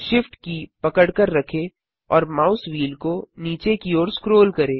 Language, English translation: Hindi, Hold SHIFT and scroll the mouse wheel downwards